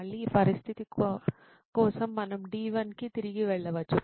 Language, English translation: Telugu, Again for this situation we can go back to D1